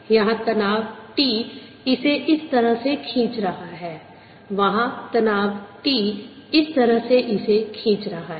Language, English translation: Hindi, now let us look at this part here there is tension, t pulling it this way there is tension, t pulling it